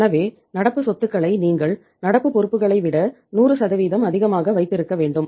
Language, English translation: Tamil, So means 100% more than the current liabilities you have to keep the current assets